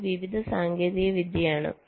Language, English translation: Malayalam, this is miscellaneous technique